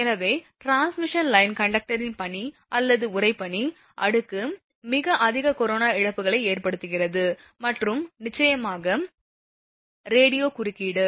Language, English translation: Tamil, So, snow or frost layer on transmission line conductor causes very high corona losses and of course, the radio interference